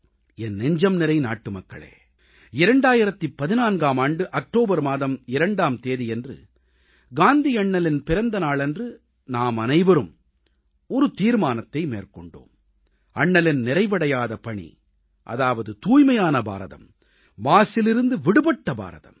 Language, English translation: Tamil, My dear countrymen, all of us made a resolve on Bapu's birth anniversary on October 2, 2014 to take forward Bapu's unfinished task of building a 'Clean India' and 'a filth free India'